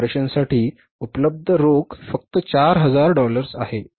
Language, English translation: Marathi, Cash available for the operations is only $4,000